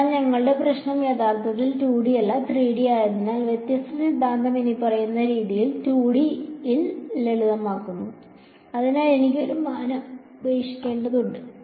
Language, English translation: Malayalam, So, since our problem is actually 2D not 3D, the divergence theorem get simplified in 2D as follows, so, I have to drop one dimension